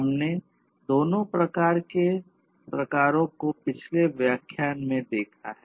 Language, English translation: Hindi, We have seen both of these types in the previous lectures